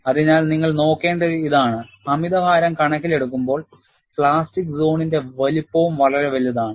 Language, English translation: Malayalam, So, what you will have to look at is, in view of an overload, the plastic zone size is much larger